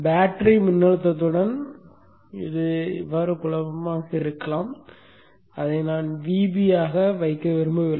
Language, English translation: Tamil, I didn't want to put it as VB because it may be confused with battery voltage